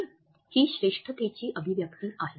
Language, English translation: Marathi, No, that is an expression of content superiority